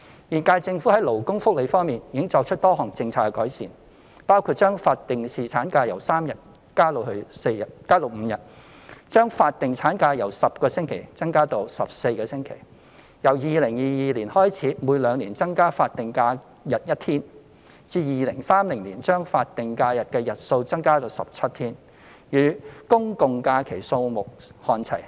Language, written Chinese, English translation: Cantonese, 現屆政府在勞工福利方面已作出多項政策改善，包括將法定侍產假由3日增加至5日；將法定產假由10星期增加至14星期；由2022年開始每兩年增加法定假日一天，至2030年將法定假日的日數增加至17天，與公眾假期數目看齊。, The current - term Government has made a number of policy improvements to labour welfare including increasing the statutory paternity leave from three to five days; extending the statutory maternity leave from 10 weeks to 14 weeks; increasing an additional day of statutory holiday in every two years from 2022 with a view to increasing the number of statutory holidays to 17 days in 2030 so that it will be on a par with the number of general holidays